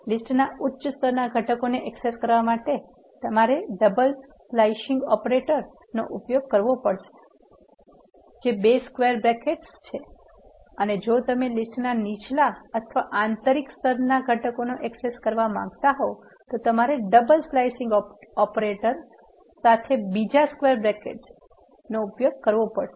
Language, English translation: Gujarati, To access the top level components of a list you have to use double slicing operator which is two square brackets and if you want access the lower or inner level components of a list you have to use another square bracket along with the double slicing operator